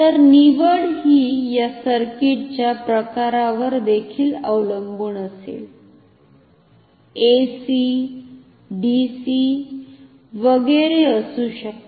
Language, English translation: Marathi, So, the choice with the also depend on the type of this circuit may be AC, DC etcetera